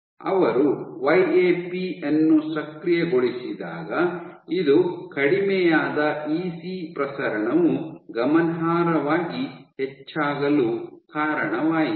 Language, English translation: Kannada, And when the activated YAP this led to dropped EC proliferation increase significantly